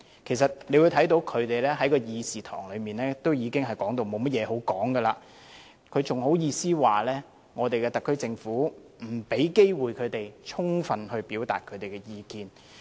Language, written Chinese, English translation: Cantonese, 其實大家可以看到，他們在會議廳內差不多已無話可說了，還好意思說特區政府不給他們機會充分表達意見。, Actually as we can see they can barely think of anything else to say in this Chamber . How can they still blame the SAR Government for not giving them any chances to fully express their views?